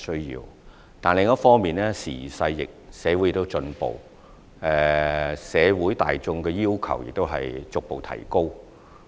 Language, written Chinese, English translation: Cantonese, 不過，另一方面，時移勢易，社會不斷進步，社會大眾的要求亦已逐步提高。, Nonetheless on the other hand times have changed and so has society the general public has now become more demanding